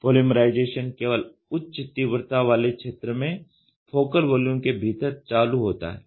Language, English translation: Hindi, Polymerization is only to trigger the high intensity region within the focal volume